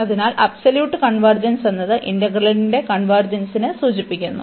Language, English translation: Malayalam, So, absolute convergence implies the convergence of the integral